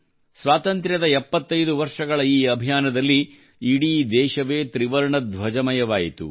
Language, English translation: Kannada, In this campaign of 75 years of independence, the whole country assumed the hues of the tricolor